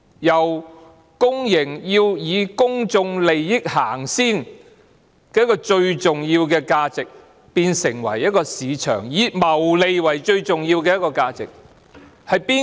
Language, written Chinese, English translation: Cantonese, 一家公營機構以公眾利益先行，這個最重要的價值，在私有化後就變成在市場謀利。, A public organization should put public interests first . And the most important value as such after privatization will become profit seeking in the market